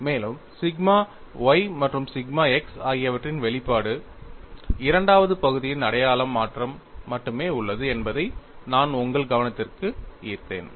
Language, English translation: Tamil, aAnd I had drawn your attention that the expression for sigma y and sigma x, there is only a sign change of the second term